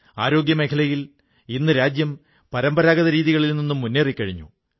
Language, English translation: Malayalam, In the health sector the nation has now moved ahead from the conventional approach